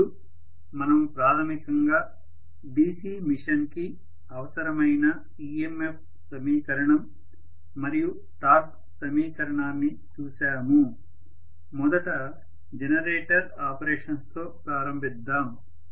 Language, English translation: Telugu, Now, that we have seen basically the EMF equation and torque equation which are required for a DC machine, let us first of all start with the generator operations